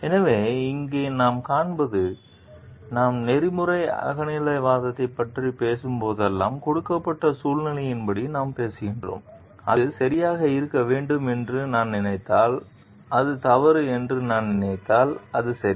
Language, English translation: Tamil, So, what we find over here, whenever we are talking of ethical subjectivism and we are talking of as per a given situation, then it talks of; if I think it to be right then it is right if I think it to be wrong